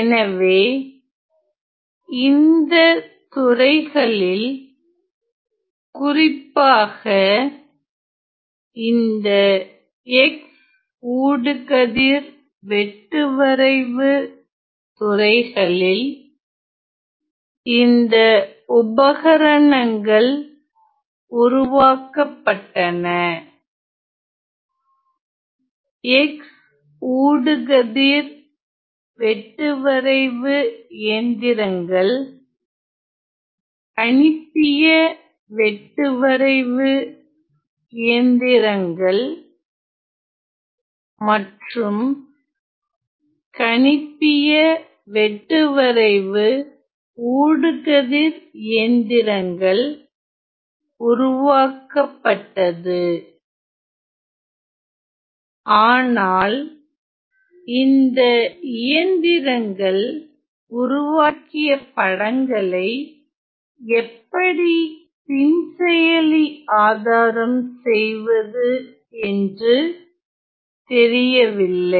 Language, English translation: Tamil, So, in all these areas this particular areas in tomography in X ray scans, the equipments were being developed said the X ray scanning machines, that computational tomography machines and the CT scan machines the CATS scans, but it was not known how to use and post process the images that were developed by these machine